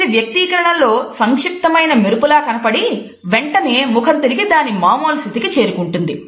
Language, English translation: Telugu, It occurs only as a brief flash of an expression and immediately afterwards the face returns to its normal state